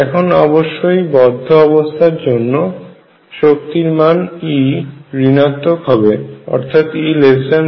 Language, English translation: Bengali, Now obviously, for bound states is going to be negative, E is less than 0